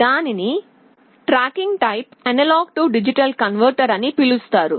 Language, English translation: Telugu, Here we have something called tracking type A/D converter